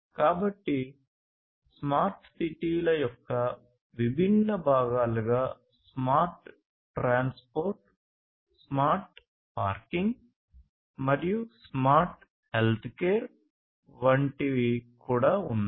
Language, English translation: Telugu, So, there are even different components of smart cities like smart transportation, smart parking, smart healthcare and so on and so forth